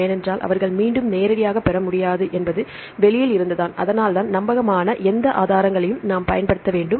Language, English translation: Tamil, Because they cannot get directly from again is from outside right that is why we have to use any reliable resources